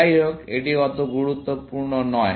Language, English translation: Bengali, Anyway, that is not so important